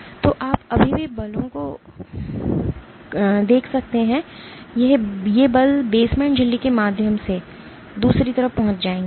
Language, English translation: Hindi, So, you can still by exerting forces, these forces will get transmitted through the basement membrane to the other side